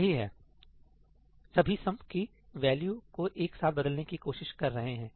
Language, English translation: Hindi, All of them are trying to change the value of sum together